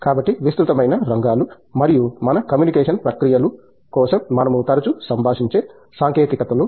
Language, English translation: Telugu, So, wide range of areas and these are you know technologies that we are we often interact with for lot of our communication processes